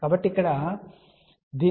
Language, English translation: Telugu, So, from here we can say compare this